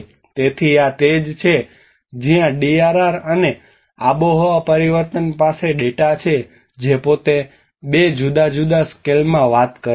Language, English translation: Gujarati, So this is where the DRR and climate change have a the data itself talks in a 2 different scales